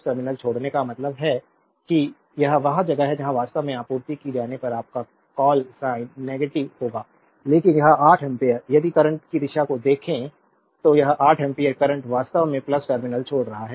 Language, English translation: Hindi, Leaving the plus terminal means it is where your what you call sign will be negative when power supplied actually right, because this 8 ampere if you look at the direction of the current this 8 ampere current actually leaving the plus terminal